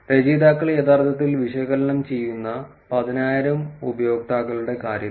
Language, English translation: Malayalam, In terms of the 10,000 users that the authors are actually analyzing